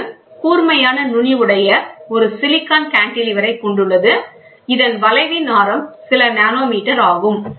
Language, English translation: Tamil, It consists of a silicon cantilever with a sharp tip with a radius of a curvature of a few nanometers